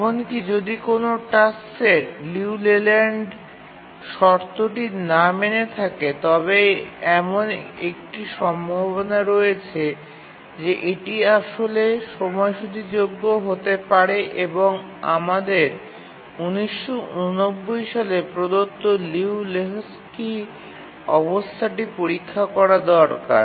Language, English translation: Bengali, Even if a task set doesn't meet the Liu Leyland condition, there is a chance that it may actually be schedulable and we need to check at Liu Lehochki's condition